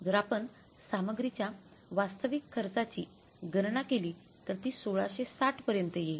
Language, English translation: Marathi, If you calculate the actual cost of material this will work out as 1 660